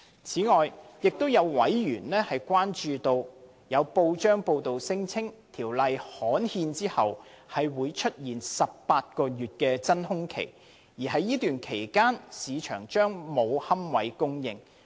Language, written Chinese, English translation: Cantonese, 此外，有委員關注到，有報章報道聲稱在《條例》刊憲後，會出現18個月真空期，而在該段期間市場將沒有龕位供應。, In addition a member is concerned about the press report which alleges the existence of an 18 - month vacuum period upon the gazettal of the Ordinance during which there will be no supply of niches in the market